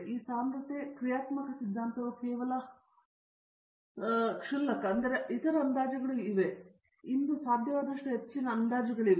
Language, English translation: Kannada, This density functional theory is only grass, but there are other approximations, but if this is the highest approximation that is possible today